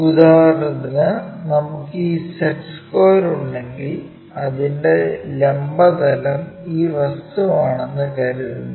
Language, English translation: Malayalam, For example, this is the one longestset square what we can have and this longest one on vertical plane it is in vertical plane